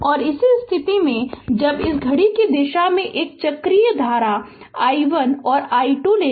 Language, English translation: Hindi, and in this case when you take this clockwise a cyclic current i 1 and i 2